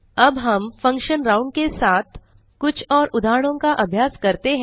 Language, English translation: Hindi, let us now try few more examples with the function round